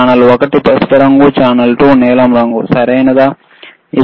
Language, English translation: Telugu, Channel one is yellow color, channel 2 is blue color, right